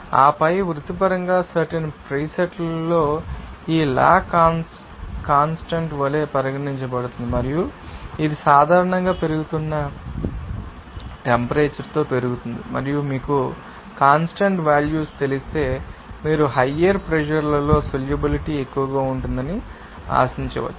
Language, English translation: Telugu, And then professionally constant will be regarded as in this law constant at that particular time presets and it is generally increased with increasing temperature and you can say that if you have you know values of you know in this constant you can expect that solubility will be higher at higher pressures for gases of high solubility